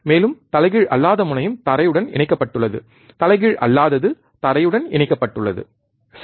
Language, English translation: Tamil, And non inverting terminal is grounded, non inverting is grounded right